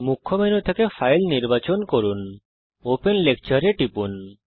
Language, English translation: Bengali, From the Main menu, select File, click Open Lecture